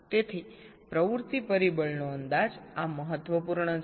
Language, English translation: Gujarati, so the estimation of the activity factor